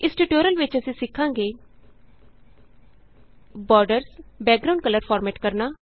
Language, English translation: Punjabi, In this tutorial we will learn about:Formatting Borders, background colors